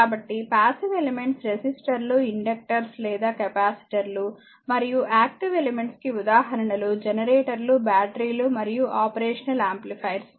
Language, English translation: Telugu, So, passive elements are resistors inductors or capacitors and active elements example are generators, batteries and your operational amplifiers